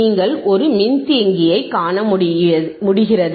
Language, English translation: Tamil, So, I have no capacitor here